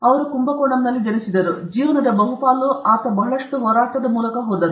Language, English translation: Kannada, So, he was born in Kumbakonam and most of his life he went through lot of struggle